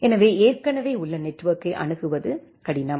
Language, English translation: Tamil, So, to get access to an existing network is a difficulty